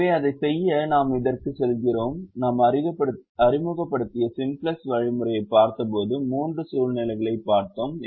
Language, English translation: Tamil, when we introduced we, when we looked at the simplex algorithm, we looked at three situations